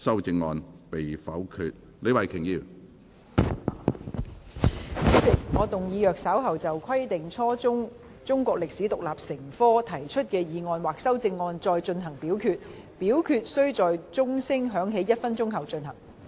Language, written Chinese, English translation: Cantonese, 主席，我動議若稍後就"規定初中中國歷史獨立成科"所提出的議案或修正案再進行點名表決，表決須在鐘聲響起1分鐘後進行。, I move that in the event of further divisions being claimed in respect of the motion on Requiring the teaching of Chinese history as an independent subject at junior secondary level or any amendments thereto this Council do proceed to each of such divisions immediately after the division bell has been rung for one minute